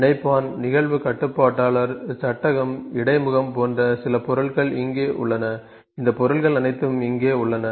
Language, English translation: Tamil, So, there certain objects here connector, event controller frame, interface, all these objects are here